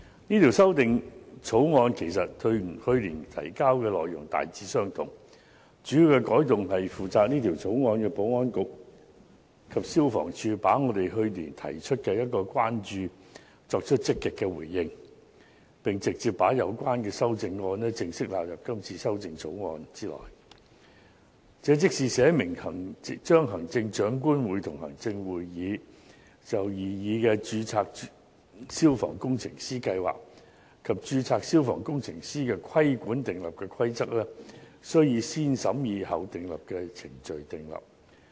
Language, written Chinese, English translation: Cantonese, 這項《條例草案》其實與去年提交的內容大致相同，主要的改動是負責這項《條例草案》的保安局及消防處積極回應我們去年提出的關注，並直接把有關的修正案正式納入《條例草案》內，即是訂立明文，規定行政長官會同行政會議就擬議的註冊消防工程師計劃及註冊消防工程師的規管所訂立的規例，需以"先審議後訂立"的程序訂立。, The Fire Services Amendment Bill 2016 is by and large a replica of the 2015 Bill but has incorporated an amendment agreed by the 2015 Bills Committee the amendment that the regulations made by the Chief Executive in Council for the proposed Registered Fire Engineer Scheme and for regulating registered fire engineers RFEs are to be subject to the positive vetting procedure . The 2016 Bills Committee held two meetings with the Administration and received written submissions from those organizations and individuals that previously gave views to the 2015 Bills Committee . Members supported the 2016 Bills proposals to provide for RFEs and a scheme for fire safety risk assessment and certification on compliance with fire safety requirements by RFEs for certain premises; and to empower the Chief Executive in Council to make regulations for the RFE Scheme and for regulating RFEs